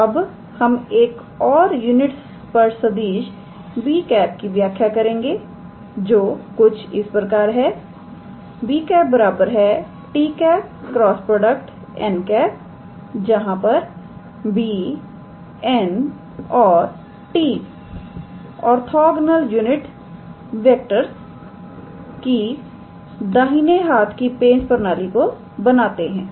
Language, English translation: Hindi, So, we introduce another unit vector b cap defined by b cap equals to t cap cross n cap where b cap n cap and t cap form a right handed system of orthogonal unit vectors